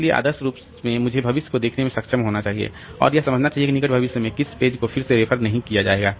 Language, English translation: Hindi, So, ideally I should be able to look into the future and understand like which page is not going to be referred to again in the near future